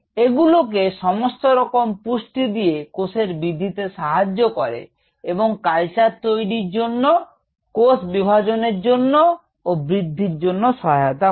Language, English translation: Bengali, it provides the all the nutrients for the cells to grow, that is, for the culture to cells to multiply, the culture to grow, and so on